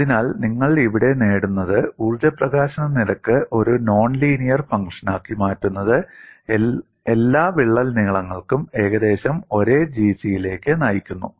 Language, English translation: Malayalam, So, what you gain here is, making the energy release rate as a non linear function leads to approximately the same G c for all crack lengths